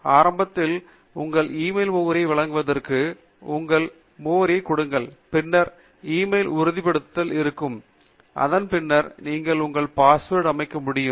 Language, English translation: Tamil, Initially, you will be asked to provide your e mail address, and once give your e mail address, then there will be an e mail confirmation, following which you will be able to set your password